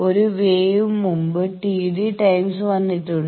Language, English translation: Malayalam, So, one wave has come just T d time before